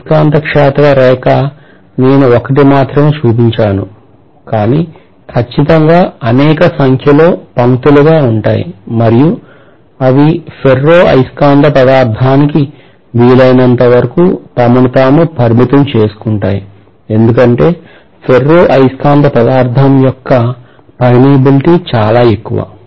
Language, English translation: Telugu, the magnetic field line I have shown only one, but there will be definitely multiple number of lines and they those things will confine themselves as much as possible to the ferromagnetic material because the permeability of the ferromagnetic material is pretty much high